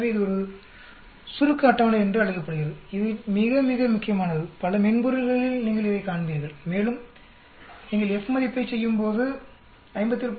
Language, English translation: Tamil, So this is called a summary table, this is very, very important, you will come across in these in many in the softwares hand, and when you do the F value your doing 57